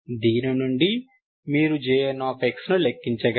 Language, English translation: Telugu, So from this, you calculate J n